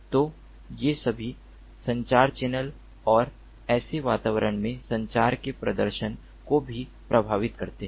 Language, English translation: Hindi, so all these also affect the communication channel and the performance of communication in such environments